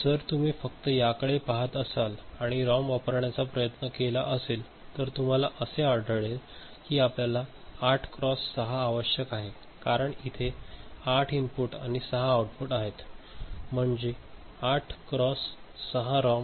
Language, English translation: Marathi, So, if you just look at it and you know try to realize using a ROM then you may think of that I need a 8 cross 6 because there are 8 inputs and 6 outputs, 8 cross 6 ROM ok